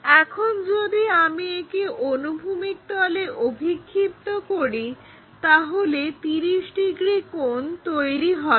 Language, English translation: Bengali, So, if I am projecting that onto horizontal plane there is a 30 degrees thing